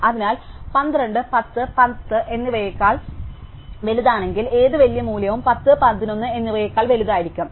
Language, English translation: Malayalam, So, if 12 is bigger than 10 and 11, any larger value will also be bigger than 10 and 11